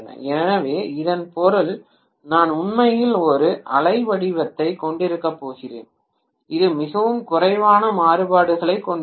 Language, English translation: Tamil, So which means I am going to have actually a wave form which will have much less variations